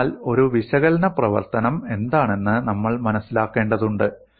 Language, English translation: Malayalam, So we need to understand, what an analytic functions